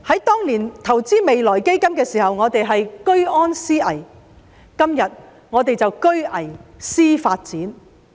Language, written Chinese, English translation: Cantonese, 當年投資未來基金的時候，我們是居安思危，今天我們是居危思發展。, When we invested in the Future Fund back then we were considering danger in times of peace; today we are considering development in times of danger